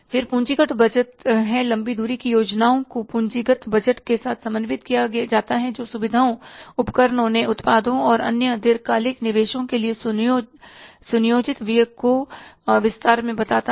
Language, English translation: Hindi, Long range plans are coordinated with capital budgets which detail the planned expenditure for facilities, equipments, new products and other long term investments